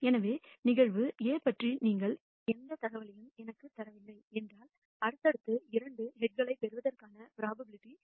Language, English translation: Tamil, So, if you do not give me any information about event A, I will tell you that the probability of receiving two successive heads is 0